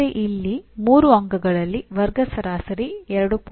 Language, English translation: Kannada, But here out of 3 marks the class average is 2